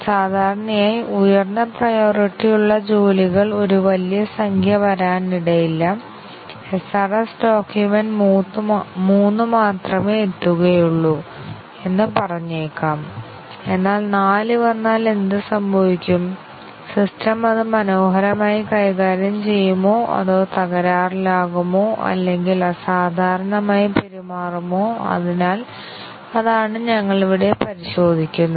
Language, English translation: Malayalam, Normally, a large number of high priority jobs may not arrive; the SRS document may say that only 3 arrive, but what happens if 4 arrive, would the system gracefully handle that or would it crash or would it behave abnormally, so that is what we check here